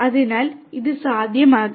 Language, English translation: Malayalam, So, this would be possible